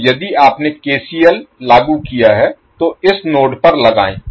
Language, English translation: Hindi, So, if you applied KCL apply to this particular node